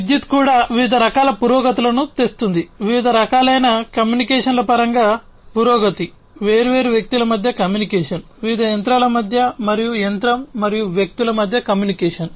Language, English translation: Telugu, Electricity, likewise, also bring brought in lot of different types of advancements; advancements in terms of different types of communications, communication between different people communication, between different machines, and between machine and people